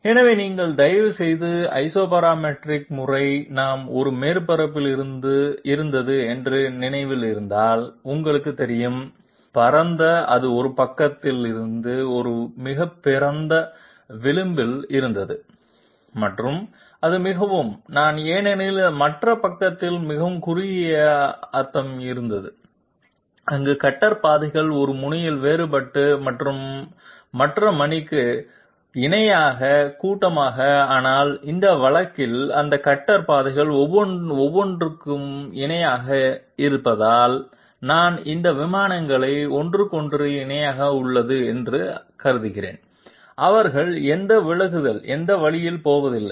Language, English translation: Tamil, So for that if you kindly remember that in the Isoparametric method we had a surface which was you know wide it had it had a very wide edge on one side and it was very I mean very narrow on the other side because of which their cutter paths were diverging at one end and clustered at the other, but in this case since these cutter paths are parallel to each other I mean these planes are parallel to each other, their intersection lines with the surface, they are not going to have any divergence that way